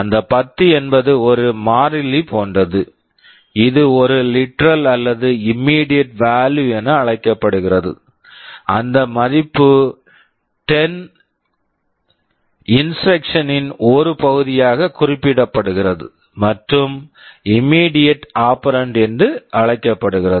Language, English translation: Tamil, That 10 is like a constant that is called a literal or an immediate value, that value 10 is specified as part of the instruction and is called immediate operand